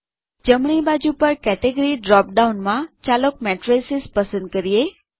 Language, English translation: Gujarati, In the category drop down on the right, let us choose Matrices